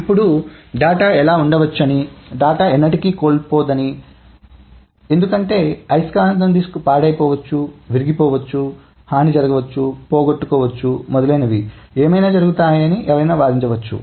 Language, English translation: Telugu, Now one may argue that how can it be that it is never lost because the magnetic disc may be corrupted, may be broken, may be harmed, lost, etc